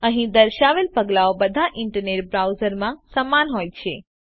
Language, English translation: Gujarati, The steps shown here are similar in all internet browsers